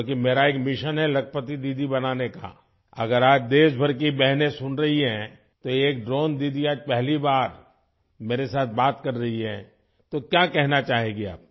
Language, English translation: Urdu, Because I have a mission to make Lakhpati Didi… if sisters across the country are listening today, a Drone Didi is talking to me for the first time